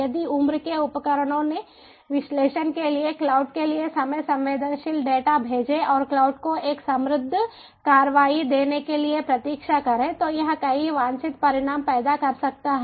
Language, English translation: Hindi, if the age devices sent time sensitive data to the cloud for analysis and wait for the cloud to give a prospered action, then it can be